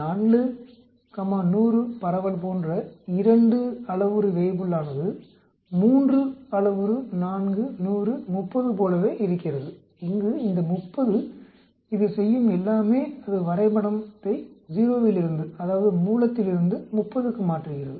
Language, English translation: Tamil, A 2 parameter Weibull like 4,100 distribution is exactly same as a 3 parameter 4,100,30 where this 30 all it does is it shifts the graph from 0 that is the origin into the 30th point